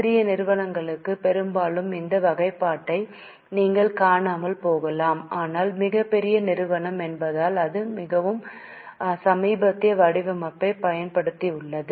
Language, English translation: Tamil, For smaller companies often you may not see this classification but since it is a very big company it has used more latest format